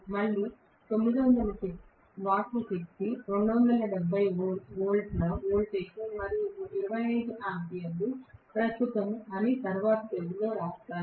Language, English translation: Telugu, Again let me write down in the next page that was actually 9000 watts was the power, 270 volts was the voltage and 25 amperes was the current